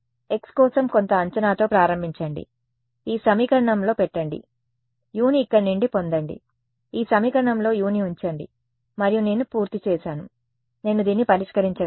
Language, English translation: Telugu, Start with some guess for x ok, put it into this equation, get U from there, put that U into this equation and then I am done I can solve this